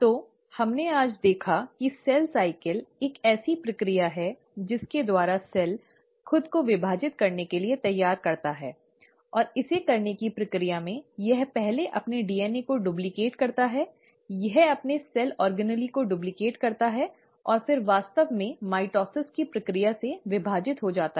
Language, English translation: Hindi, So, we saw today that cell cycle is a process by which cell prepares itself to divide and in the process of doing it, it duplicates its DNA first, it duplicates its cell organelles, and then it actually divides to the process of mitosis